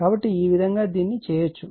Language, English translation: Telugu, So, this is this way you can make it